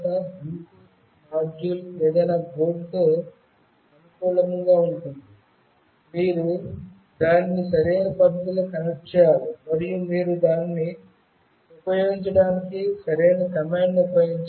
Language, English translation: Telugu, Bluetooth module are compatible with any board, you must connect it in the correct fashion, and you must use the correct command for using it